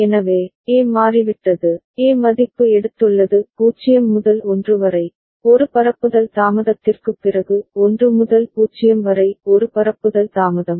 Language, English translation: Tamil, So, A has changed, the A value has taken from 0 to 1, after one propagation delay; 1 to 0 one propagation delay